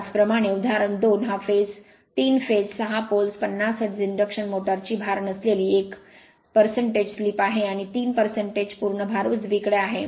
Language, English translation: Marathi, Similarly, example 2 is a 3 phase, 6 pole, 50 hertz induction motor has a slip of 1 percent at no load and 3 percent of full load right